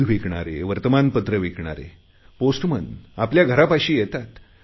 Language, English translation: Marathi, She says milkmen, newspaper vendors, postmen come close to our homes